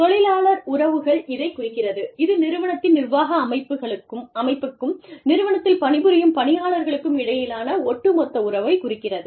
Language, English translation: Tamil, Labor relations refer to, this is the term, that refers to, the overall relationship between the, organization's administrative body, and the organizations, the body of the organization's, workforce